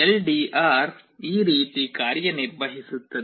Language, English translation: Kannada, This is how LDR works